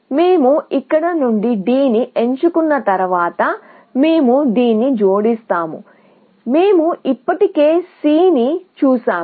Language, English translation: Telugu, Once we pick D from here, we will add this; we have already seen C